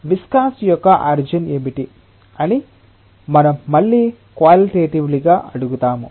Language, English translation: Telugu, The next question that we will ask again qualitatively that, what is the origin of viscosity